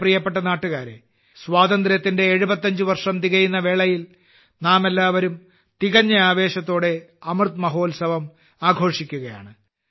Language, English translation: Malayalam, My dear countrymen, on the occasion of completion of 75 years of independence, all of us are celebrating 'Amrit Mahotsav' with full enthusiasm